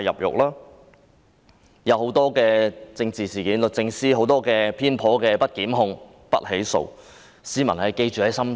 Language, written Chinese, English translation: Cantonese, 在多宗政治事件上，律政司作出種種偏頗的不提檢控決定，市民會記在心中。, In a number of political incidents the Department of Justice made various biased decisions not to institute prosecution . Members of the public would bear them in mind